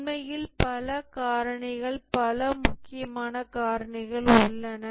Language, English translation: Tamil, There are actually several factors, several important factors